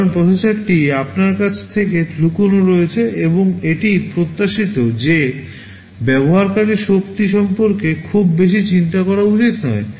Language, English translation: Bengali, Because the processor is hidden from you and it is expected that the user should not worry too much about energy